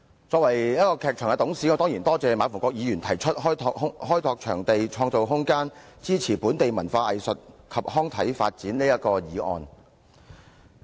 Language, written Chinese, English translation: Cantonese, 作為一個劇團的董事，我當然感謝馬逢國議員提出"開拓場地，創造空間，支持本地文化藝術及康體發展"的議案。, As a director of a theatrical group I of course thank Mr MA Fung - kwok for moving this motion entitled Developing venues and creating room to support the development of local culture arts recreation and sports